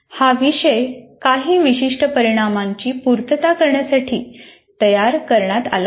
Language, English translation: Marathi, So, and this course has to be designed to meet certain outcomes